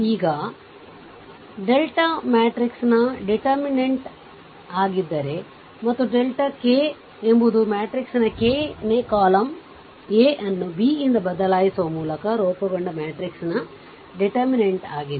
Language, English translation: Kannada, Now, if delta is the determinant of matrix and delta k is the determinant of the matrix formed by replacing the k th column of matrix A by B